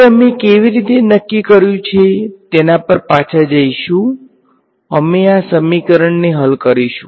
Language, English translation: Gujarati, Now, we will go back to how we are decided we will solve this equation